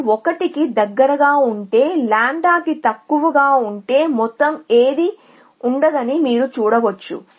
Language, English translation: Telugu, If lambda is high if it is close to 1 then you can see that none of the whole will remain if lambda is low